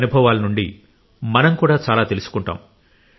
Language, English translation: Telugu, We will also get to know a lot from their experiences